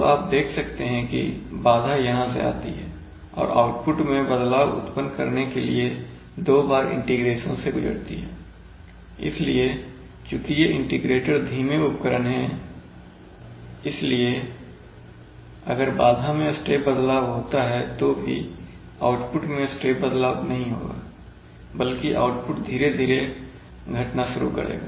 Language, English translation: Hindi, So you see either that the disturbance enters here and goes through two integrations to finally produce a change in the output, so since these are integrators these are slow devices, so even if there is a set step change in the disturbance there will not be a step change in the output but they, rather the output will start slowly decreasing